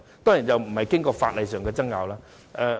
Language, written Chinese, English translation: Cantonese, 當然，這並未經過法律上的爭拗。, Certainly this has not gone through any legal argument